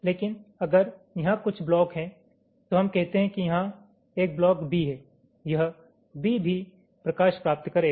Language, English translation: Hindi, but if there is some block out here, lets say a block b here, this b will also get the light